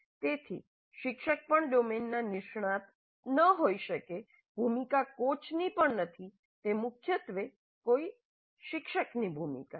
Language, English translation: Gujarati, So the tutor may not be even an expert in the domain, the role is not even that of a coach, it is primarily the role of more of a tutor